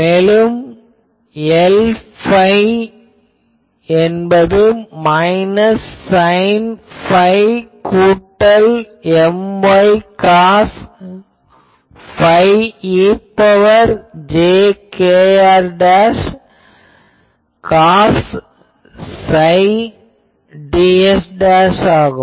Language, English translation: Tamil, And L psi minus M x sine phi plus M y cos psi e to the power plus jkr dash cos psi ds dash